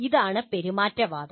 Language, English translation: Malayalam, So that is what the behaviorism is